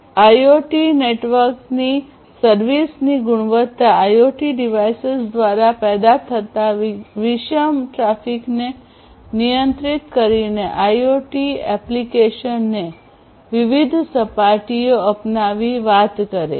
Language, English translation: Gujarati, So, quality of service of IoT network talks about guarantees; guarantees with respect to offering different surfaces to the IoT applications through controlling the heterogeneous traffic generated by IoT devices